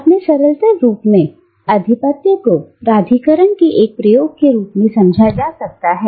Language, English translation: Hindi, Now, in its simplest form, hegemony can be understood as a mode of exercising authority